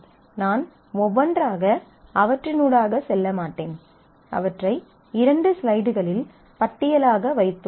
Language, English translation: Tamil, So, I will not go through them one by one, but I have put them as a list in the couple of slides